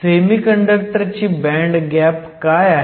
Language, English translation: Marathi, What is the band gap of the semiconductor